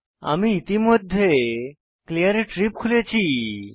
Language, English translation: Bengali, I have already opened Clear trip